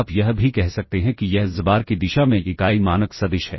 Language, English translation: Hindi, You can also say this is the unit norm vector in the direction of xbar